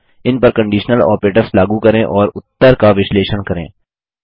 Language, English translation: Hindi, Lets apply conditional operators on them and analyse the results